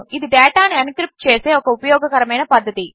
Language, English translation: Telugu, It is a very useful way of encrypting data